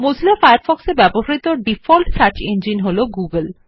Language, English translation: Bengali, The default search engine used in Mozilla Firefox is google